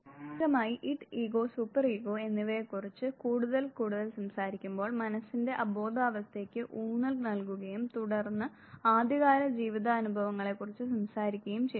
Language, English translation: Malayalam, Primarily talking more and more about the Id, ego and the super ego; the emphasis was on the unconscious part of the mind and then talking about the early life experiences